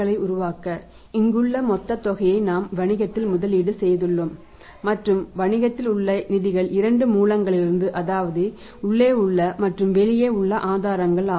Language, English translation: Tamil, The total amount here to create this level of the assets we have invested the funds in the business and the funds in the business come from the two sources internal sources and external sources